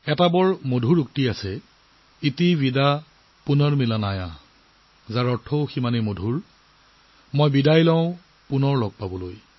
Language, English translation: Assamese, There is a very lovely saying – ‘Iti Vida Punarmilanaaya’, its connotation too, is equally lovely, I take leave of you, to meet again